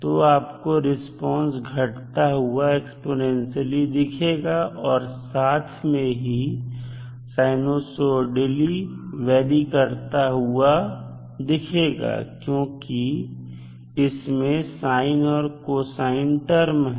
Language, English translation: Hindi, So, you will simply see that it is exponentially decaying plus sinusoidally varying also because you have sine cos terms in the equation